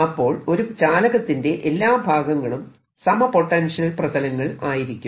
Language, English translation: Malayalam, so all the surface of the conductor are equipotential surfaces